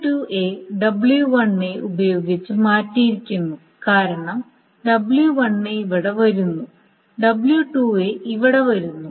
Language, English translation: Malayalam, W2A has been swapped with W1B because W1B is coming here and W2A is coming here